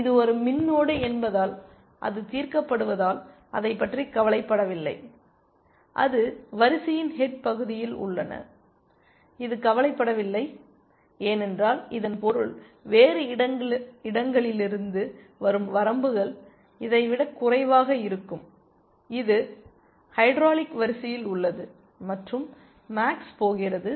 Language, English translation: Tamil, Now, since it is a min node and it is solved, it does not care about it, and it is at the head of the queue, it does not care because this means whatever the bounds that are coming from elsewhere will be lower than this, it is in the hydraulic queue and max is going to